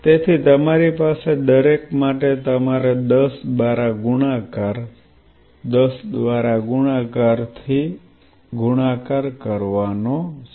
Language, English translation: Gujarati, So, you have for each you have multiplied by 10, multiplied by 10, multiplied by 10, multiplied by 10